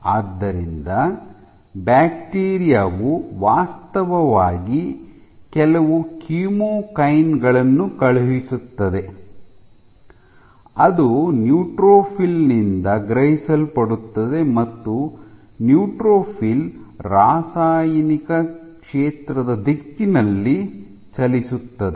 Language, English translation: Kannada, So, the bacteria actually sends out some chemokines which are sensed by the neutrophil and the neutrophil moves in the direction of the chemical field